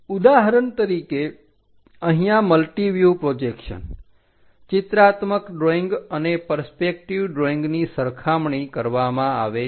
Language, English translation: Gujarati, For example, here a multi view projection a pictorial drawing and a perspective drawing are compared